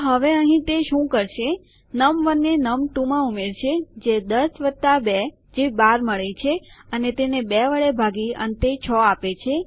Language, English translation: Gujarati, So, here what it will do is num1 plus num2 which is 10 plus 2 which gives us 12 divided by 2 which should give us 6